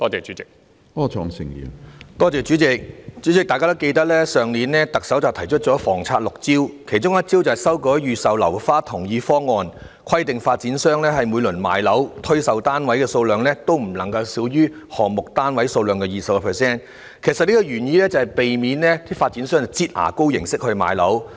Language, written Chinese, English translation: Cantonese, 主席，大家應該還記得去年特首提出房策六招，其中一招是修改預售樓花同意方案，規定發展商每次賣樓時，所推售單位數量不能少於項目單位數量的 20%， 原意是要避免發展商以"擠牙膏"的方式賣樓。, President perhaps Members still remember that last year the Chief Executive proposed six measures on housing and one of them is to review the Consent Scheme to require developers to offer for sale no less than 20 % of the total number of residential units in a development . The original intention is to prevent developers from selling residential units in the fashion of squeezing toothpaste